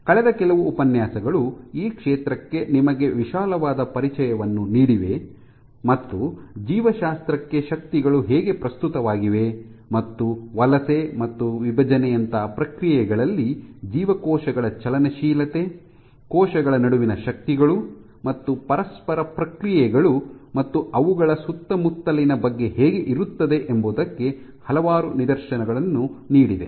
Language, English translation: Kannada, So, over the last few lectures have given you a broad introduction to this field, and given several instances as to how forces are of relevance to biology and how dynamics of cells during processes like migration division so on and so forth, required forces and interactions between cells and their surroundings